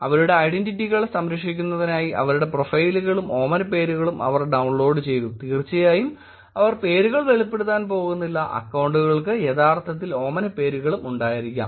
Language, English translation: Malayalam, They downloaded the profiles and the pseudonyms of their, to protect their identities, of course the names were not going to be revealed, the accounts may actually have pseudonyms also